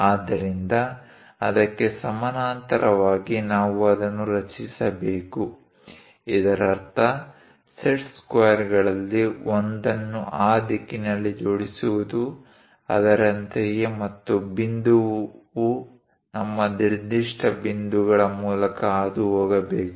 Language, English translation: Kannada, So, parallel to that, we have to construct it; that means align one of your set squares in that direction, something like that, and the point has to pass through our particular points